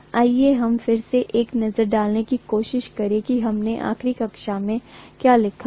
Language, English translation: Hindi, Let us try to again take a look at what we wrote in the last class